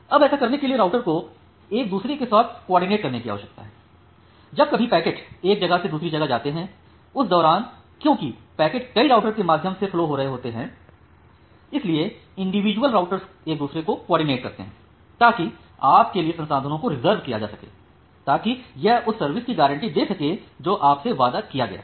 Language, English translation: Hindi, Now to do that the routers need to coordinate with each other; because the packet is flowing through multiple routers whenever it is moving from one source to another destination and then individual routers need to coordinate with each other to reserve the resources for you such that it can guarantee the service that is promised to you